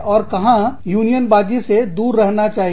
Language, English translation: Hindi, And, where unionization should be avoided